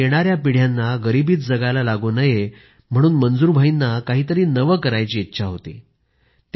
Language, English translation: Marathi, Manzoor bhai wanted to do something new so that his coming generations wouldn't have to live in poverty